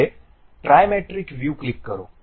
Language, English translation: Gujarati, Now, click the Trimetric view